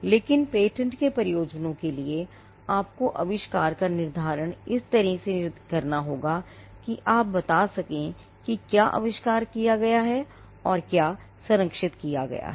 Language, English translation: Hindi, But for the purposes of patenting, you need to textualize the invention in a determined manner in such a way that you can convey what has been invented and what has been protected